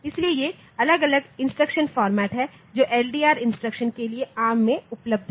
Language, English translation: Hindi, So, this these are the different instruction formats that are available in arm for the LDR instruction